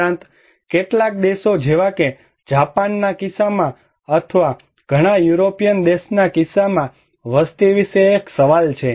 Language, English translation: Gujarati, Also, in case of some countries like in case of Japan or in case of many European countries, there is a question about the populations